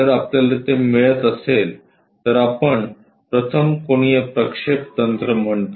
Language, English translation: Marathi, If we are getting that, we call first angle projection technique